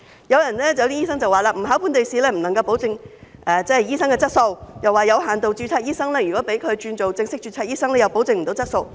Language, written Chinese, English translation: Cantonese, 有些醫生說，若不考本地試，不能夠保證醫生的質素，又說如果讓有限度註冊醫生轉做正式註冊醫生，同樣無法保證質素。, In the view of some doctors there will be no guarantee of doctors quality if overseas doctors are exempt from local examinations and are allowed to migrate from limited registration to full registration